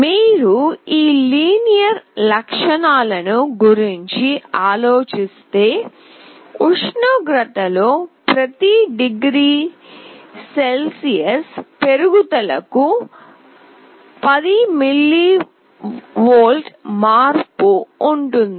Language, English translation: Telugu, If you think of these linear characteristics, it is like there will be with 10 millivolt change for every degree Celsius increase in temperature